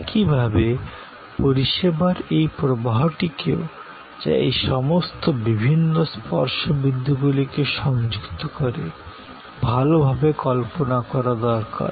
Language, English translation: Bengali, Similarly, this flow of service, which links all these different touch points, also needs to be well visualized